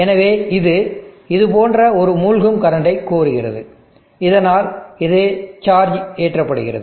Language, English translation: Tamil, And therefore, it demands a sinking current like this, so that it gets charged up